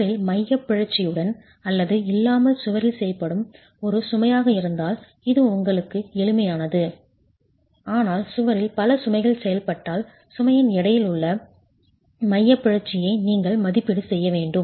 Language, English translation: Tamil, If it is a single load acting on the wall with or without eccentricity, that's a simple case for you, but if you have multiple loads acting on the wall, then you'll have to make an estimate of a weighted eccentricity of the load itself